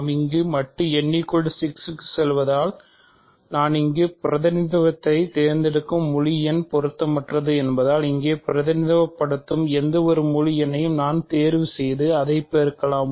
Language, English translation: Tamil, So, because we are going modulo n at the end what integer I choose to represent here is irrelevant, I can choose any integer that represents here and multiply by that